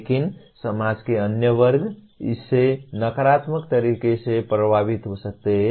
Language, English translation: Hindi, But other segment of the society may get affected by that in a negative way